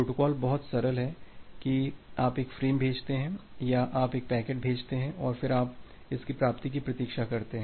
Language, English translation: Hindi, The protocol is pretty simple that you send a frame or you send a packet and then, you wait for its acknowledgement